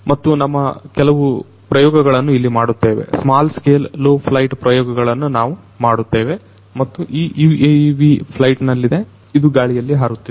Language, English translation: Kannada, And we do some of our experiments over here small scale low flight experiments we perform, and this is this UAV it is in flight, it is flying in the air